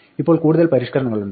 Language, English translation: Malayalam, Now there are some further refinements